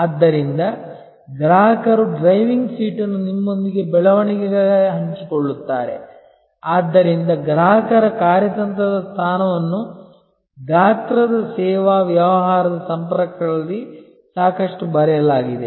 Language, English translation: Kannada, So, the customer shares the driving seat with you for growth, so the strategic position for the customer has been written about profusely in the contacts of the size service business